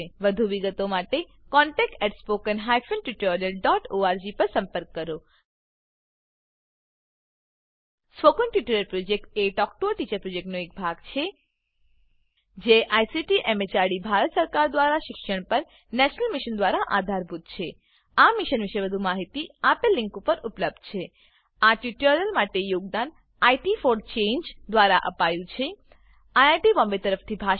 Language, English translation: Gujarati, For more details please write to contact@spoken tutorial.org Spoken Tutorial Project is a part of the Talk to a Teacher Project It is Supported by the National Mission on education through ICT, MHRD, Government of India More information on this mission is available at link provided here This tutorial has been contributed by IT for Change Thank you for joining us.